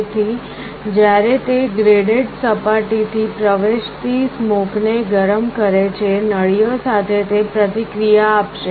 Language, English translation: Gujarati, So, when it heats up the smoke that enters through this graded surface, will react with those tubes